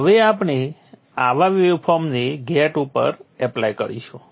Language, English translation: Gujarati, Now such a waveform we will apply at the gate of this